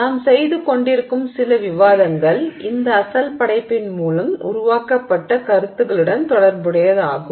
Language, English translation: Tamil, Some of the discussion that we are having relates to ideas that were developed through this work